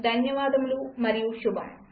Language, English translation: Telugu, Thank you and goodbye.